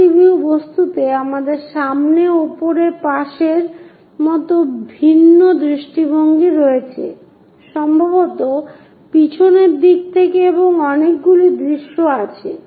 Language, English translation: Bengali, In multi view objects we have different views like front, top, side, perhaps from backside and many views available